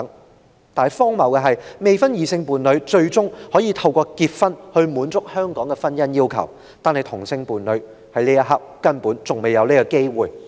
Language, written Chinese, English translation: Cantonese, 然而，荒謬的是，未婚異性伴侶最終可透過結婚以獲得香港法律承認，但同性伴侶目前仍未有這個機會。, Yet it is so ridiculous that unmarried partners of opposite sex may be recognized under Hong Kong law as a married couple through marriage whereas same - sex civil partners still do not stand a chance of doing so for the time being